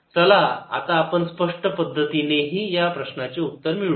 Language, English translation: Marathi, let us also obtain this answer by explicit calculation